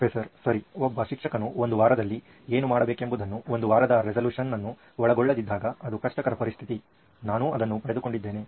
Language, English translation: Kannada, Okay, it’s a difficult situation that a teacher is when they do not cover what they are supposed to in a week, resolution of a week, okay I get it